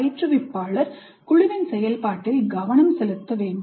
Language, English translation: Tamil, Instructor must also focus on the process of group itself